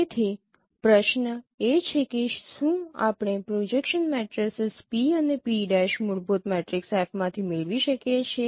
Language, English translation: Gujarati, So the question is that whether we can get the projection matrices p and p prime from a fundamental matrix f